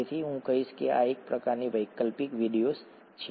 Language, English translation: Gujarati, So I would say that this is kind of optional videos